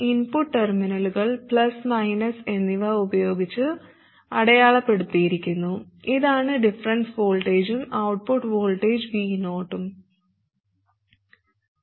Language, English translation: Malayalam, The input terminals are marked with plus and minus and this is the difference voltage and then output voltage VO